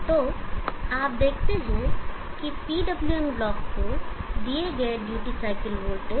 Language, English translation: Hindi, So you see that the duty cycle voltage given to the PWM block